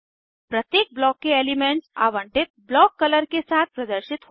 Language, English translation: Hindi, Elements of each Block appear with alloted block color